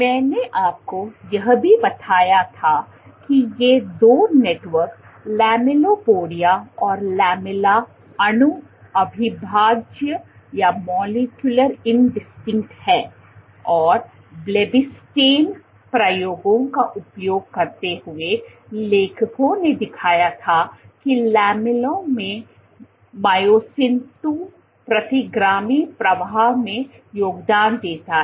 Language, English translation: Hindi, What we also, I also told you was that these two networks lamellipodia and lamella are molecule indistinct, and using Blebbistatin experiments the authors had shown that myosin II in the lamella contributes to retrograde flow